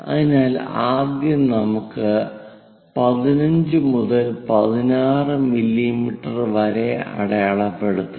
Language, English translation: Malayalam, So, let us first of all mark 15 to 16 mm